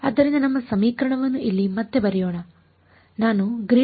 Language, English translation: Kannada, So, let us just re write our equation over here